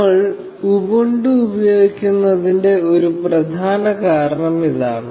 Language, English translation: Malayalam, And, this is one of the prime reasons that we are using Ubuntu